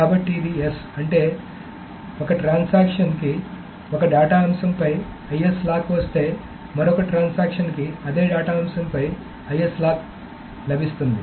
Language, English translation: Telugu, That means if one transaction gets an IS lock on one data item, another transaction can get an IS lock on that same data item